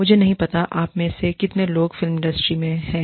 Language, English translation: Hindi, I do not know, how many of you, are in the film industry